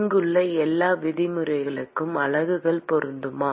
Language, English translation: Tamil, Are the units matching for all the terms here